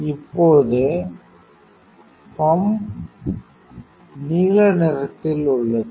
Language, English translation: Tamil, Now the rotating pump is in the blue condition it is there